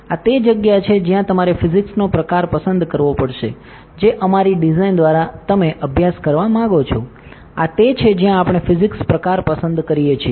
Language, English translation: Gujarati, This is where we have to select the type of physics that you want to study through our design; this is where we select the type of physics